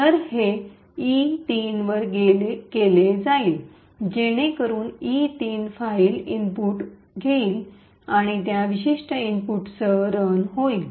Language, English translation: Marathi, So, this is done by at E3 so which would take the input from the file E3 and run with that particular input